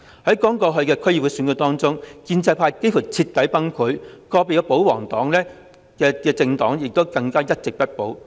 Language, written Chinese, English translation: Cantonese, 在剛過去的區議會選舉中，建制派幾乎徹底崩潰，個別保皇派的政黨更加是一席也不保。, In the District Council Election which has just concluded the pro - establishment camp has almost been totally crushed . A royalist political party could not even get one single seat